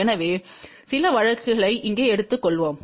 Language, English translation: Tamil, So, let just take some cases here